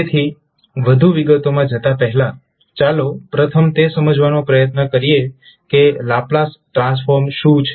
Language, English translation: Gujarati, So before going into the details, let's first try to understand what is Laplace transform